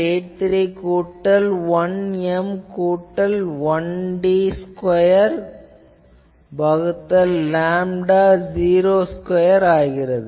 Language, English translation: Tamil, 83 N plus 1 M plus 1 d square by lambda 0 square